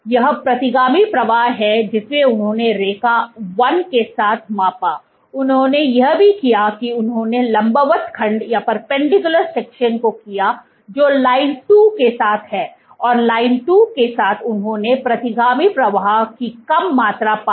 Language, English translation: Hindi, This is the retrograde flow that they measured along line 1, what they also did was they did the perpendicular section which is along line 2 and along line 2, they found less amount of retrograde flow